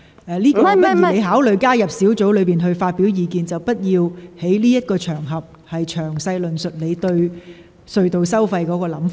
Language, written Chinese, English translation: Cantonese, 請你考慮加入小組委員會發表意見，而非在這個場合詳細論述你對隧道收費的看法。, Will you please consider joining the Subcommittee to voice your views instead of discussing in detail on this occasion your views on the tunnel tolls?